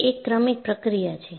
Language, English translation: Gujarati, So, it is a successive process